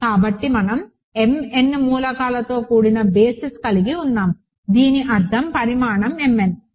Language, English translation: Telugu, So, we have a basis consisting of m n elements so that means, dimension is m n